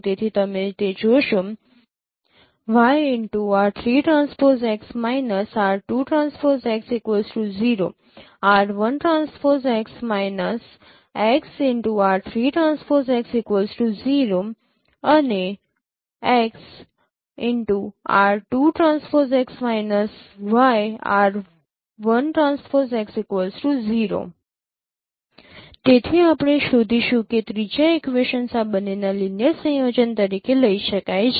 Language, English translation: Gujarati, So you will find actually the third equations can be derived as a linear combination of these two